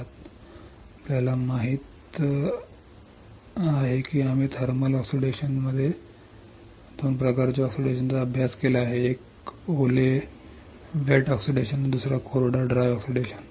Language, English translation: Marathi, Now we know we have studied 2 types of oxidation in thermal oxidation, one is wet oxidation and another one is dry oxidation